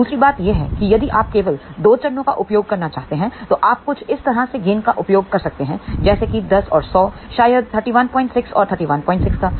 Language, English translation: Hindi, The another thing is if you want to use only 2 stages, then you can use something like maybe a gain of 10 and 100; maybe gain of 31